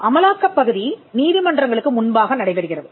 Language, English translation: Tamil, The enforcement part happens before the courts